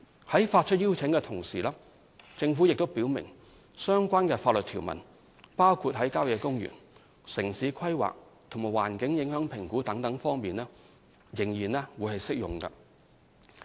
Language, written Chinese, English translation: Cantonese, 在發出邀請的同時，政府亦表明相關的法律條文，包括在郊野公園、城市規劃和環境影響評估各方面，仍然適用。, When making the invitation the Government also made clear that the relevant statutory provisions including those relating to country parks town planning and environmental impact assessment are still applicable